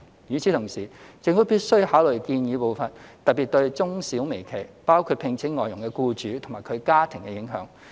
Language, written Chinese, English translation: Cantonese, 與此同時，政府必須考慮建議步伐，特別對中小微企，包括聘請外傭的僱主及其家庭的影響。, Meanwhile the Government must consider the impact that the proposed pace has on particularly micro small and medium - sized enterprises including employers of FDHs and their households